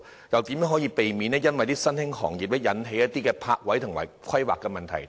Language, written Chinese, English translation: Cantonese, 如何避免因新興行業而引起泊位和規劃問題？, How is the Government going to prevent the parking and planning problems arising from the emergence of new industries?